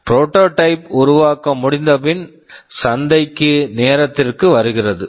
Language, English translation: Tamil, And after the prototyping is done, comes time to market